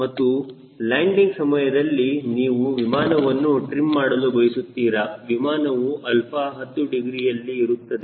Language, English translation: Kannada, and during landing you want to trim the aero plane, trim the aircraft at alpha equal to ten degrees